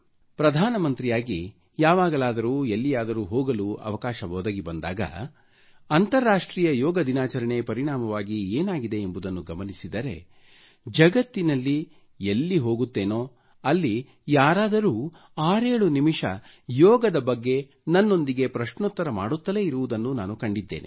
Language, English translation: Kannada, I have seen that whenever I have had the opportunity to go as Prime Minister, and of course credit also goes to International Yoga Day, the situation now is that wherever I go in the world or interact with someone, people invariably spend close to 57 minutes asking questions on yoga